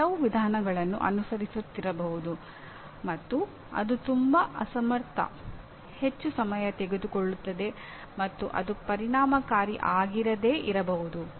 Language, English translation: Kannada, You may be following certain method which is very very inefficiently, very time consuming and it is not effective